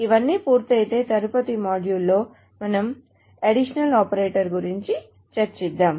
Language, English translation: Telugu, So if that is all done, so in the next module, we will move into the additional operators